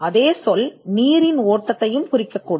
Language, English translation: Tamil, Current can also mean flow of water